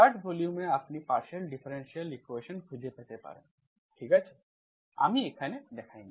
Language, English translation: Bengali, So we have 3 volumes, I can 3rd volume you can find partial differential equations, okay, I have not shown here